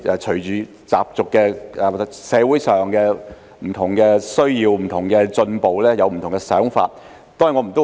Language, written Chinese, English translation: Cantonese, 隨着社會的需要及進步，對習俗有不同的想法。, In the light of the needs and progress of society views about customs have changed